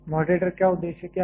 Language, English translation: Hindi, What is the purpose of moderator